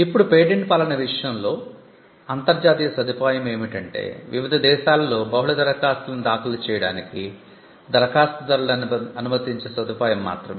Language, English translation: Telugu, Now, in the case of the patent regime, the international facilitation is only to the point of enabling applicants to file multiple applications in different countries